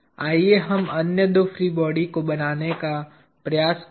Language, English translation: Hindi, Let us seek to draw the other two free bodies